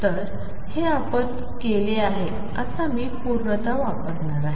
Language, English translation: Marathi, So, this is what we have done now I am going to use completeness